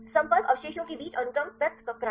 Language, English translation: Hindi, Sequence separation between the contacting residues